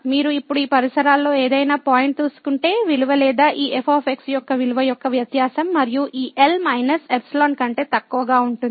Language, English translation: Telugu, So, if you take any point in this neighborhood now, the value will be or the difference of the value of this and minus this will be less than the epsilon